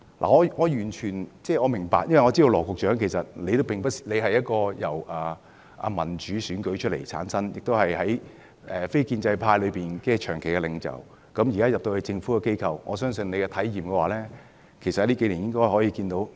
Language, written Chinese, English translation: Cantonese, 我完全明白，因為我知道羅局長由民主選舉產生，也是非建制派中的長期領袖，現時加入政府機構，我相信你在數年內應該有甚為不同的體驗。, This is completely understandable to me for I know that you Secretary Dr LAW were a democratically elected Member before and a leader in the non - establishment camp for a long time . Now that you have joined the Government I believe you must have had quite a different experience during these few years